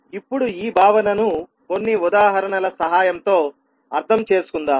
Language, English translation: Telugu, Now, let us understand this concept with the help of few examples